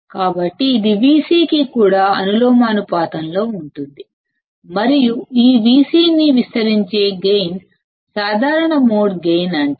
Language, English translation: Telugu, So, it is also proportional to Vc and the gain with which it amplifies this V c is called common mode gain